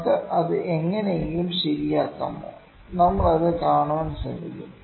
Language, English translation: Malayalam, Could we correct that somehow; we will try to see that